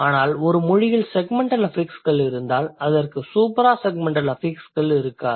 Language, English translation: Tamil, But if a language has segmental affixes, it may not have suprasegmental affixes